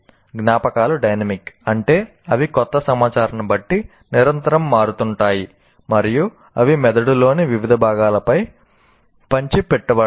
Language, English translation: Telugu, And as I said already, memories are dynamic, that means they constantly change depending on the new information and they are dispersed over the various parts of the brain